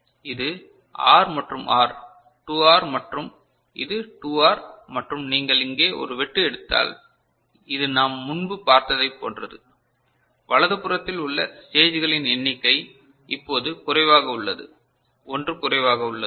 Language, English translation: Tamil, So, this is R and R 2R and this is 2R and if you take a cut over here, it is similar to what we had seen before only the number of stages to the right hand side is now less, one less ok